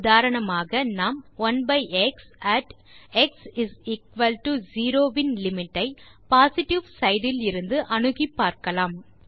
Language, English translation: Tamil, For example, let us find the limit of 1/x at x=0, when approaching from the positive side